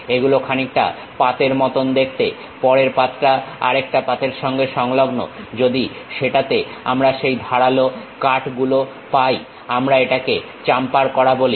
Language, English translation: Bengali, These are something like a plate, next plate attached with another plate that kind of sharp cuts if we have it on that we call chamfering